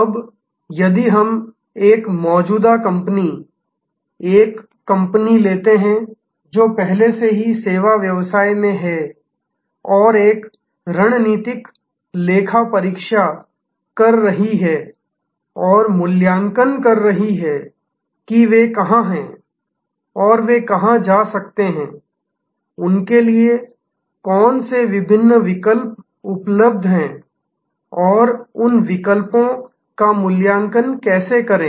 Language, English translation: Hindi, Now, if we take an existing company, a company which is already in the service business and is doing a strategic audit and assessment of where they are and where they can go, which are the different options available to them and how to evaluate those options